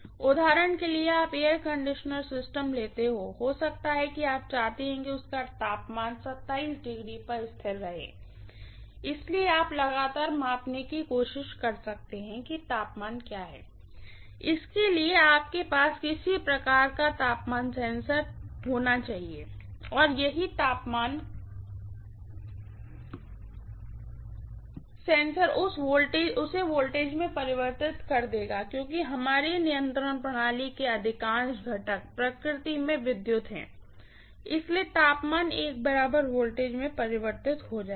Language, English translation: Hindi, For example, you take an air conditioning system, maybe you want to have the temperature always fixed at 27°, so you might try to continuously measure what is the temperature, for that, you might have some kind of temperature sensor, that temperature sensor invariably will convert that into some voltage, because invariably most of our control system components are electrical in nature, so the temperature will be converted into an equivalent voltage